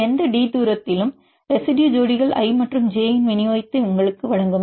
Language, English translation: Tamil, This will give you the distribution of residue pairs i and j at any distance d